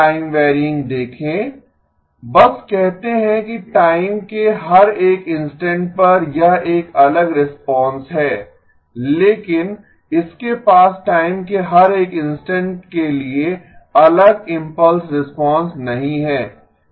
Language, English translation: Hindi, See time varying just says that every instant of time it is a different impulse response but this one does not have a different impulse response for every instant of time